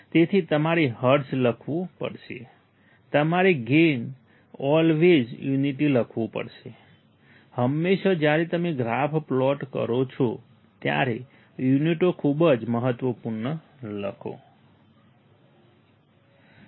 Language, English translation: Gujarati, So, you have to write hertz, you have to write gain write always unit, always when you plot the graph, write units very important